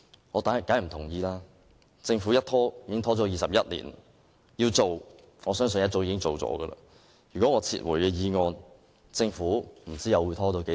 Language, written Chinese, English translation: Cantonese, 我當然不同意，政府已拖延了21年，如果要做，我相信早已做了，如果我撤回議案，不知道政府又會拖到何時。, The adjustment has been delayed for 21 years . If the Government really intended to increase the payment it should have done so years earlier . If I withdraw the resolution I really do not know how long the proposed adjustment will drag on